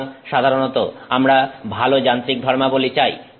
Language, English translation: Bengali, So, generally we want better mechanical properties